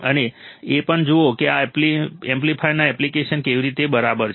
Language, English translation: Gujarati, And also see how what is the application of this amplifiers all right